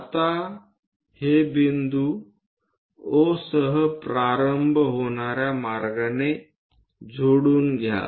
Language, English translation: Marathi, Now, join this points all the way beginning with O